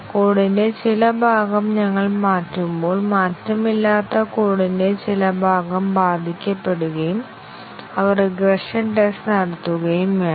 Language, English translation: Malayalam, As we change some part of the code, then, some part of the unchanged code gets affected and they have to be regression tested